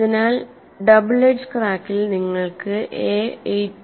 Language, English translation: Malayalam, So in the double edge crack you have a equal to 8